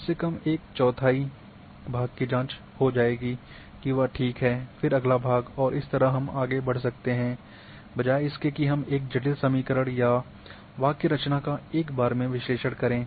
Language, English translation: Hindi, Atleast one forth part I have checked is fine then next part,then next part, rather than bringing complicated equation or syntax and completing analysis in one go